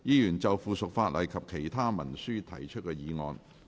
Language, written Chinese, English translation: Cantonese, 議員就附屬法例及其他文書提出的議案。, Members motions on subsidiary legislation and other instruments